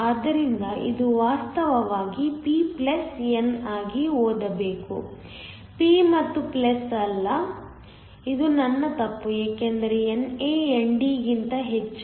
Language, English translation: Kannada, So, this should actually read p+n not p and + it is my mistake because NA is much greater than ND